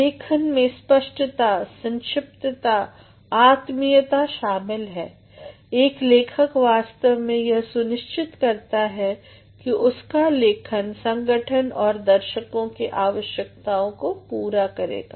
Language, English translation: Hindi, Writing involves clarity, conciseness, cordiality, he actually ensures that his writing will cater to the requirements of the organization and also to the audience, my dear friends